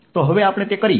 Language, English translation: Gujarati, so let us just do that